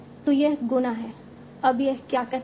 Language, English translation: Hindi, So this is the multiplication